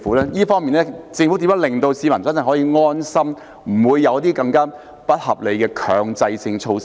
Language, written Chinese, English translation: Cantonese, 在這方面，政府如何令市民可以真正安心，不會有些更加不合理的強制性措施呢？, In this regard how can the Government put the publics mind truly at ease that there will not be any mandatory measures that are more unreasonable?